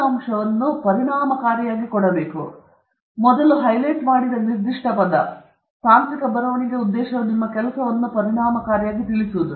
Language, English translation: Kannada, And this point has got to do with it completely and entirely to do with this; specific word that I highlighted earlier, that the purpose of technical writing is to convey your work efficiently